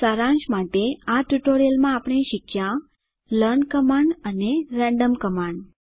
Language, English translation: Gujarati, Lets summarize In this tutorial we have learnt about, learn command and random command